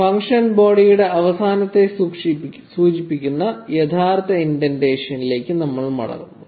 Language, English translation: Malayalam, And we get back to our original indentation level indicating the end of the function body